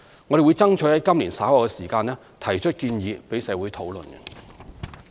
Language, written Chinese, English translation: Cantonese, 我們會爭取在今年稍後時間提出建議供社會討論。, We will strive to put forward our proposals later this year for discussion by the community